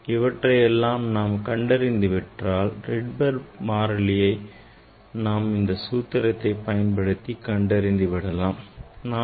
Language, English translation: Tamil, If you find out these then you can calculate the Rydberg constant from this formula ah